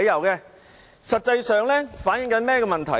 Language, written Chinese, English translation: Cantonese, 這實際上反映出甚麼問題？, What actually is the problem here?